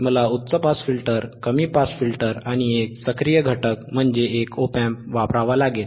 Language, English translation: Marathi, I will need a high pass, I will need a low pass, and I have to use an active, means, an op amp